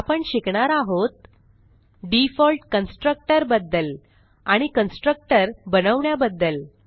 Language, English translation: Marathi, In this tutorial we will learn About the default constructor